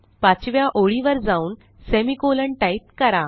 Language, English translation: Marathi, So go to the fifth line and add a semicolon